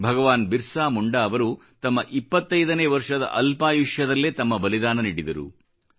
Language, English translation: Kannada, BhagwanBirsaMunda sacrificed his life at the tender age of twenty five